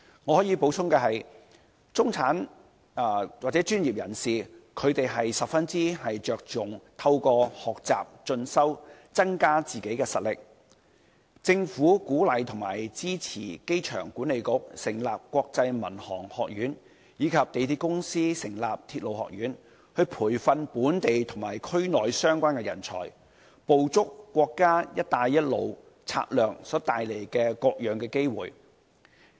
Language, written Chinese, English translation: Cantonese, 我可以補充的是，中產或專業人士十分着重透過學習和進修，增加實力，政府鼓勵和支持機場管理局成立香港國際航空學院，以及香港鐵路有限公司成立的港鐵學院，培訓本地和區內相關人才，捕捉國家"一帶一路"策略所帶來的各種機會。, What I can add is that the middle class and the professionals attach much importance to learning and self - education in order to improve their competency . The Government encourages and supports the Airport Authority to set up the Hong Kong International Aviation Academy and the MTR Corporation to set up the MTR Academy for grooming local and regional talents concerned with a view to grabbing various kinds of opportunities brought about by the Belt and Road Initiative